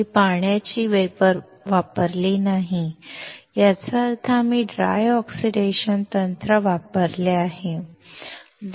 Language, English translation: Marathi, We have not used water vapor; that means, we have used a dry oxidation technique